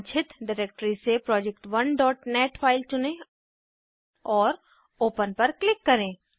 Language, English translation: Hindi, Select project1.net file from desired directory and click on Open